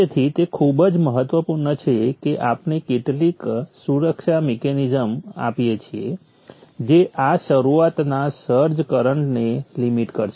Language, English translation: Gujarati, Therefore it is very very important that we provide some protection mechanism which will limit this startup search current